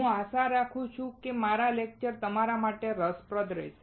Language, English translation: Gujarati, I hope that my lectures are interesting to you